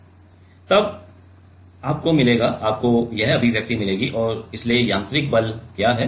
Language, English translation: Hindi, Now, then you will get the, you will get this expression right and so, what is the mechanical force